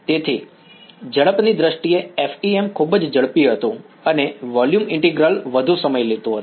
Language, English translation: Gujarati, So, in terms of speed FEM was very very fast and volume integral is much more time consuming